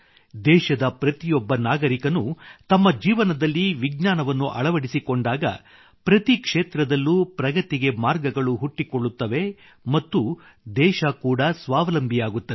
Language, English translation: Kannada, When every citizen of the country will spread the spirit of science in his life and in every field, avenues of progress will also open up and the country will become selfreliant too